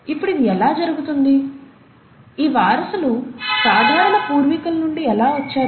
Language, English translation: Telugu, Now how does this happen, how did these descendants came from a common ancestor